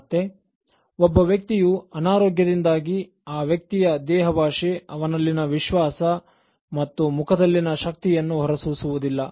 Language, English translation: Kannada, And when a person is ill, the body language of the person will not show confidence and the face will not radiate with energy